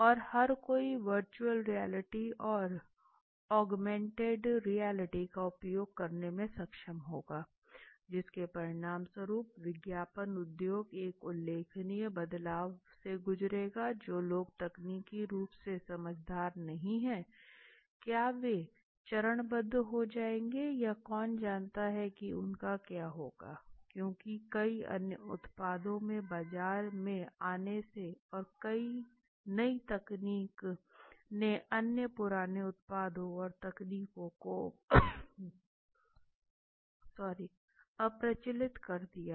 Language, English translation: Hindi, And everybody would be able to utilize virtual reality or augmented reality for that so as a result will the advertisement industry go through a remarkable change will people who are not technologically savvy will they phase out or who knows what will happen close because many products have come into the market and because of the sophistication their new technology they have been able to completely delete or make the other older ones obsolete it